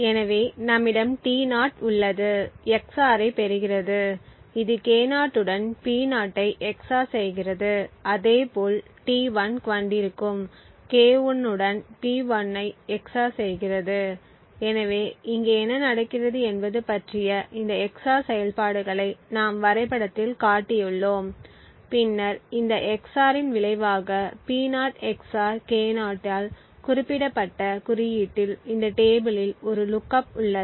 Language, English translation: Tamil, So we have T0 which gets XOR with P0 XOR with K0 then we have similarly T1 which is P1 XOR with K1 so what is happening over here is that we have this XOR operations which we have shown in the diagram and then there is based on the result of this XOR there is a lookup in this table at an index specified by P0 XOR K0